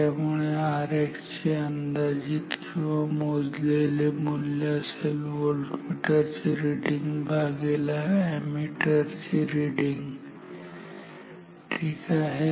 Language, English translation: Marathi, So, therefore, estimated or calculated value of R X this will be same as the voltmeter reading divided by the ammeter reading ok